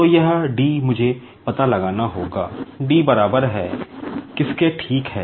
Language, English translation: Hindi, So, this d, I will have to find out, d is equal to what, ok